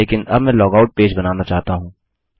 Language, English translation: Hindi, But now I want to create a log out page